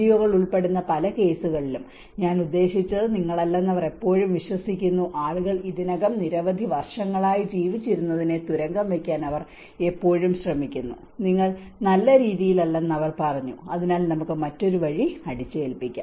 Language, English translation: Malayalam, They always believe that you are not I mean many of the cases when NGOs involving, they always try to undermine what people already lived for many years, they said you are not in a good way, so let us impose other way of it